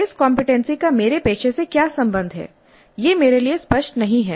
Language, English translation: Hindi, What is the relationship of this competency to my profession